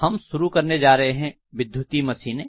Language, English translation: Hindi, Okay, we are starting on electrical machines